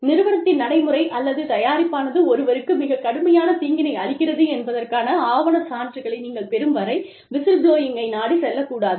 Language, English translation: Tamil, You should not resort to whistleblowing, till you have documentary evidence, of the practice, or product, bringing serious harm to somebody